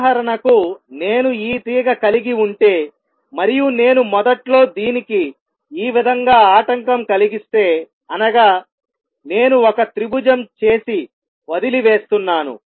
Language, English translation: Telugu, For example if I have this string and I initially disturb it like this I am make a triangle and leave it, right